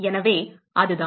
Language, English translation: Tamil, So, that is it